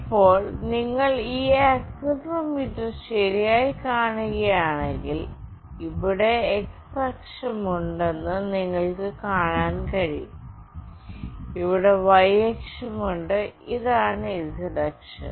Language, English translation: Malayalam, Now, if you see this accelerometer properly, you can see there is x axis here, here is the y axis, and this is the z axis